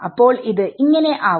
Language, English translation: Malayalam, So, it will be